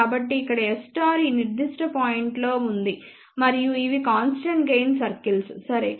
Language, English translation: Telugu, So, here S 11 conjugate is located at this particular point and these are the constant gain circles, ok